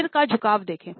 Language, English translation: Hindi, Look at the head tilt